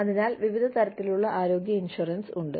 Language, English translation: Malayalam, So, various types of health insurance are there